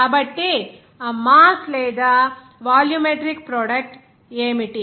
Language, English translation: Telugu, So, what is that mass or volumetric product